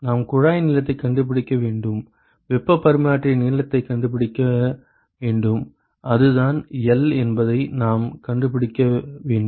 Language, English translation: Tamil, We need to find the tube length, we need to find the length of the heat exchanger so that is L that is what we need to find